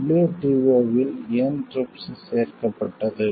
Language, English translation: Tamil, Why was then TRIPS included in WTO